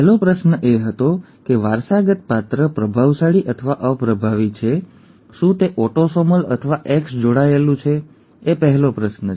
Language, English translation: Gujarati, The first question was; is the inherited character dominant or recessive, is it autosomal or X linked; that is the first question